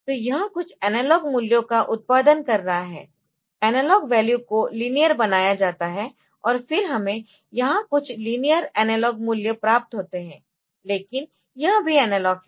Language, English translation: Hindi, So, it is producing some analog values that analog value is linearized, and then we get some linearized analog values here, but this is also analog